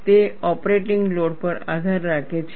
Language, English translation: Gujarati, It depends on the operating load